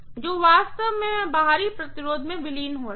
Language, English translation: Hindi, Which actually I would be dissipating in the external resistance